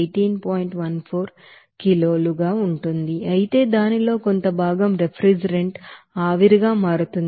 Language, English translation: Telugu, 14 kg per minute, but fraction of that you know refrigerant will be converting into vapor